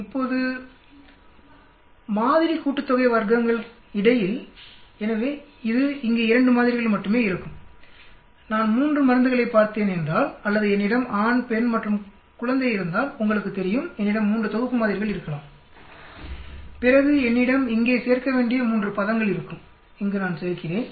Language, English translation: Tamil, Now between samples sum of squares, so this is there will be 2 samples only here, suppose I had see 3 drugs or if I had male, female and infant you know then I may have 3 sets of samples, then I will have a 3 terms which needs to be added here I am adding